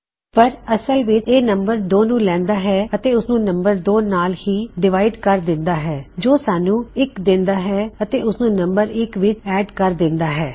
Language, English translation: Punjabi, But actually what this does is it takes num2 and divides it by num2 which will give 1 and add num1 to that